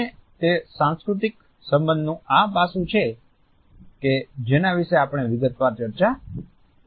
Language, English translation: Gujarati, And it is this aspect of cultural associations which we will discuss in detail